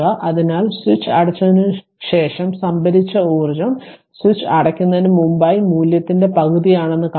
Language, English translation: Malayalam, So, we see that the stored energy after the switch is closed is half of the value before switch is closed right